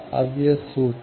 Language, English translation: Hindi, Now, this is the formula